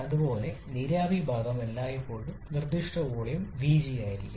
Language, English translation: Malayalam, Similarly the vapor part will always be having vg as the specific volume